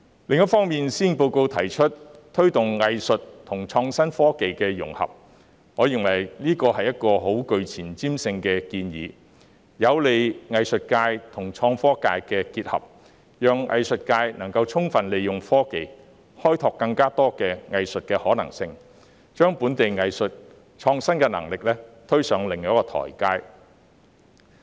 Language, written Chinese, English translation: Cantonese, 另一方面，施政報告提出推動藝術與創新科技的融合，我認為這是一個相當具前瞻性的建議，有利藝術界與創科界結合，讓藝術界能充分利用科技開拓更多的藝術可行性，將本地藝術的創新能力推上另一台階。, On the other hand the Policy Address proposes to promote the integration of arts with innovation and technology . I think this is a forward - looking proposal which will facilitate the mingling of the arts sector with the innovation and technology sector so that the arts sector may make full use of technology to explore more possibilities in arts and take the creativity of local arts to the next level